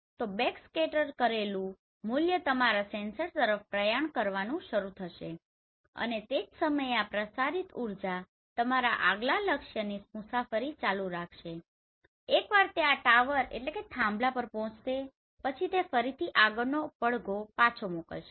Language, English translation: Gujarati, So the backscattered value will start travelling towards your sensor and the same time this transmitted energy will keep on traveling to your next target and once it reaches to this tower then it will again sent back the next echo right